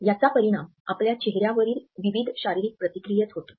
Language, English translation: Marathi, It results into various physical responses on our face